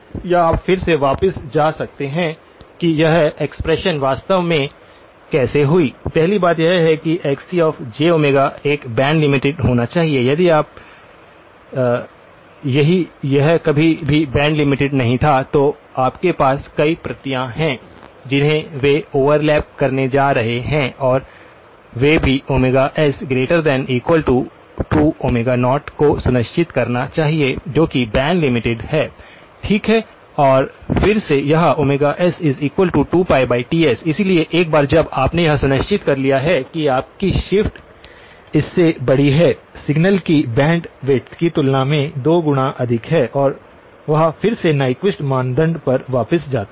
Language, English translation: Hindi, Or you can again go back to how this expression actually came about, the first thing would be is Xc of j omega must be band limited, right if it was not band limited anytime you have multiple copies they are going to overlap and they also must ensure omega s is greater than or equal to 2 times omega naught , which is the band limit, okay and again this omega s is nothing but this 2 pi over Ts, so once you have ensured that your shift is larger than the; than 2 times the bandwidth of the signal then that is again goes back to the Nyquist criterion